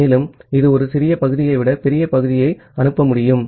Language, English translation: Tamil, And it will be able to send the large segment rather than a small segment